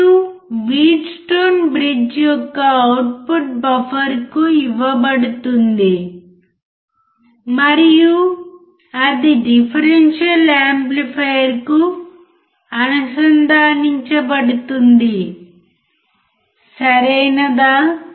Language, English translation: Telugu, And the output of Wheatstone bridge is given to the buffer and then it is connected to the differential amplifier, right